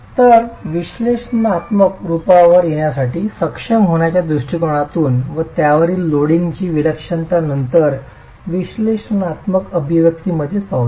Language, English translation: Marathi, So, we need in order to be able to arrive at an analytical form, let's look at the deflected shape and then the eccentricity of the loading to then use them within an analytical expression itself